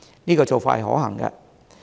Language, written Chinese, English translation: Cantonese, 這個做法是可行的。, This approach is practicable